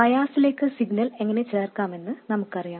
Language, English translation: Malayalam, We know how to add signal to bias